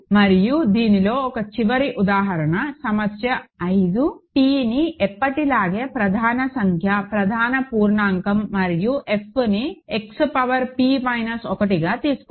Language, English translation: Telugu, And one final example in this; problem 5 is let p be a prime number, prime integer as always and take F to be X power p minus 1